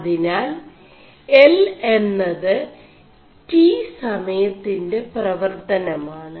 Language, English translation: Malayalam, So, L as a function of time t